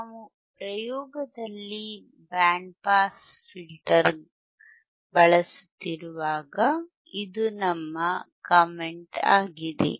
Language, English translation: Kannada, This is our comment when we are using the band pass filter in the experiment in the experiment